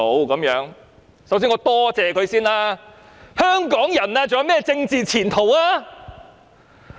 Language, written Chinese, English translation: Cantonese, "首先，我想多謝他們，但試問香港人還有何政治前途呢？, First of all I would like to thank them . But may I ask what kind of political future Hong Kong people still have?